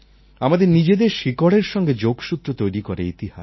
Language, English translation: Bengali, History binds us to our roots